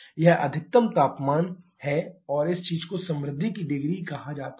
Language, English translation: Hindi, This is your maximum temperature and this thing can be called the degree of richness